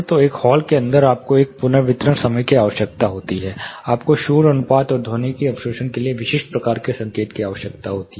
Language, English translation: Hindi, So, inside a hall you need an reverberation time, you need specific type of signaled noise ratio and acoustic absorption